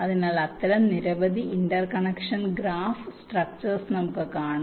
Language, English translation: Malayalam, so we shall see several such interconnection graph structure